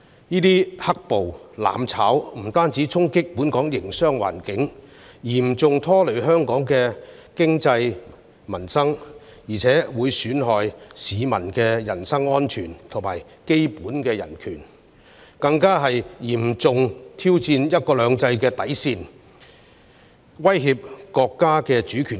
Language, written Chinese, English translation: Cantonese, 這些"黑暴"、"攬炒"，不單衝擊本港營商環境，嚴重拖累香港的經濟、民生，並損害市民的人身安全及基本人權，更嚴重挑戰"一國兩制"的底線及威脅國家的主權。, Such acts of black - clad violence and mutual destruction have not only dealt a blow to Hong Kongs business environment seriously affected Hong Kongs economy and livelihood undermined the personal safety and basic human rights of the public but have also posed a serious challenge to the bottom line of one country two systems and a threat to the States sovereignty